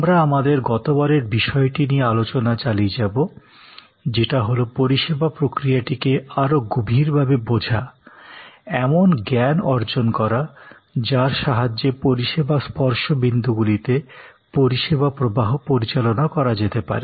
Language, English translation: Bengali, We are continuing our last topic, which is deeper understanding of the service process; create knowledge that can be used to manage the service flow in the service touch points, together they constitute the service process